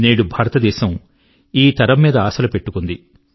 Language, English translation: Telugu, Today, India eagerly awaits this generation expectantly